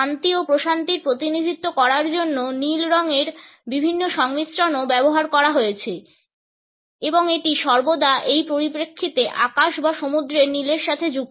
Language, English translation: Bengali, Different associations of blue have also been used to represent peace and tranquility and it is always associated with the blue of the sky or the sea in this sense